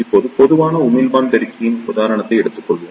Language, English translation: Tamil, Now, we will take an example of Common Emitter Amplifier